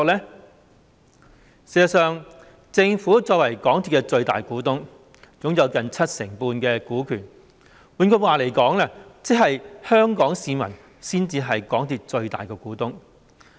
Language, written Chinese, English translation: Cantonese, 事實上，政府作為港鐵公司的最大股東，擁有近七成半的股權，換句話說，即是香港市民才是港鐵公司的最大股東。, In fact as the largest shareholder of MTRCL the Government holds nearly 75 % of the shares . In other words nobody but the people of Hong Kong are the largest shareholder of MTRCL